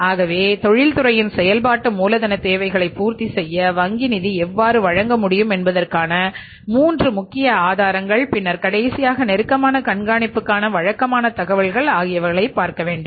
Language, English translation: Tamil, So, that is the means these are the three important sources how the bank finance can be provided to fulfill the working capital requirements of the industry and then the last one is regular information for the close watch